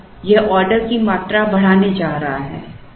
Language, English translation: Hindi, So, it is going to increase the order quantity